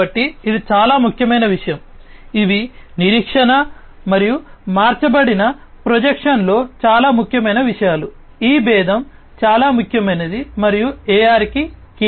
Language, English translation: Telugu, So, this is these are very important things these are very important things in expectation and altered projection, this differentiation is very important and is key to AR